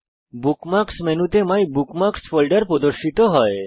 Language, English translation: Bengali, The MyBookMarks folder is displayed in the Bookmarks menu